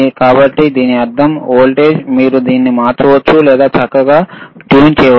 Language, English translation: Telugu, So that means, that in voltage, you can course change it or you can fine tune it,